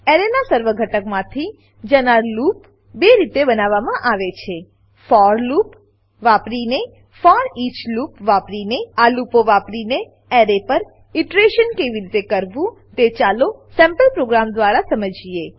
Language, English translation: Gujarati, There are two ways of looping over an array Using for loop Using foreach loop Lets learn how to use these loops to iterate over an array using a sample program